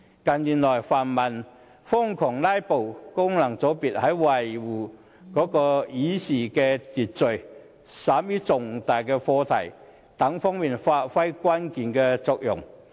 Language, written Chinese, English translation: Cantonese, 近年來，泛民瘋狂"拉布"，功能界別在維護議事秩序以便審議重大的課題方面發揮了關鍵的作用。, In recent years the pan - democratic Members have been crazily filibustering but thanks to Members representing the functional constituencies for playing a significant role in safeguarding the Rules of Procedure when all those major issues are being deliberated